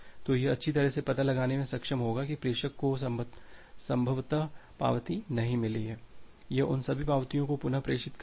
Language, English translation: Hindi, So, it will be able to find out that well the sender has possibly not received the acknowledgement, it will retransmit those acknowledgement